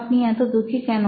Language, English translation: Bengali, Why are you sad